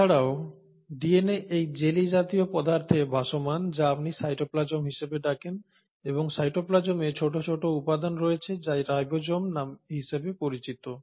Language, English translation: Bengali, In addition, this DNA is floating in this jellylike substance which is what you call as a cytoplasm and the cytoplasm consists of tiny little components which are called as ribosomes